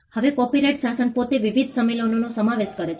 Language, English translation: Gujarati, Now, copyright regime in itself comprises of various conventions